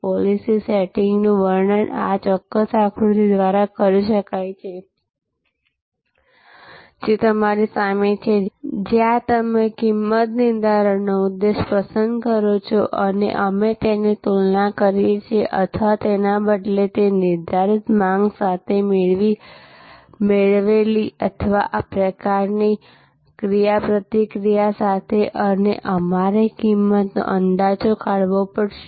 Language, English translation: Gujarati, The policy setting can be described by this particular diagram which is in front of you, where you select the pricing objective and we compare that with respect to or rather that is derived or sort of interactive with the determining demand and we have to estimate cost